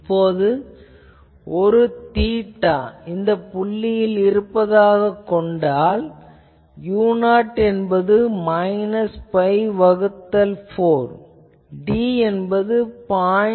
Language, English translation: Tamil, And let us say that the I one theta at this point, u 0 is this it is minus pi by 4, d is in between 0